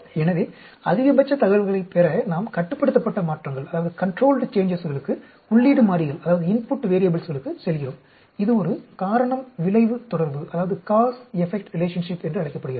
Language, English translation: Tamil, So, we are going to controlled changes to input variables to gain maximum amount of information, this is called a cause effect relationship